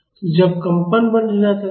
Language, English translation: Hindi, So, that is when the vibration stops